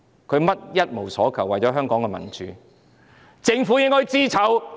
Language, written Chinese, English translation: Cantonese, 他們一無所求，只是為了香港的民主，政府應該感到羞耻。, They are not in want of anything; the only cause is democracy for Hong Kong . The Government ought to be ashamed of itself